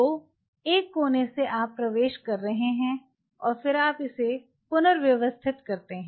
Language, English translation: Hindi, So, from one coronary you are entering and then you rearrange it